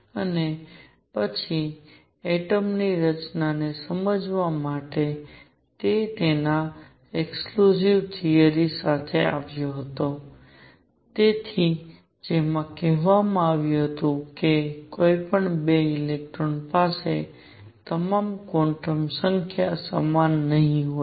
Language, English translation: Gujarati, And then to understand the structure of atom next all he came with his exclusion principle, which said no 2 electrons will have all quantum numbers the same